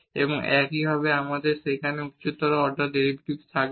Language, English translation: Bengali, Similarly, we can compute the second order derivative